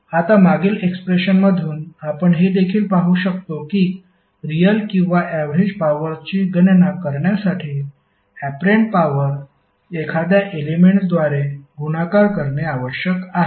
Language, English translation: Marathi, Now from the previous expression you can also observe that apparent power needs to be multiplied by a factor to compute the real or average power